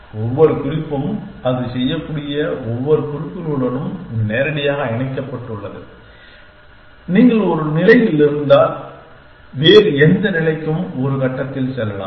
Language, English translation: Tamil, Every note is connective directly to every other notes it can you can move from any state to another any other state in one step